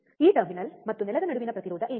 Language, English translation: Kannada, What is the resistance between this terminal and ground, right